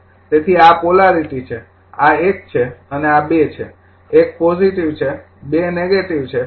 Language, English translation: Gujarati, So, this is the polarity this is 1 and this is 2, 1 is positive, 2 is negative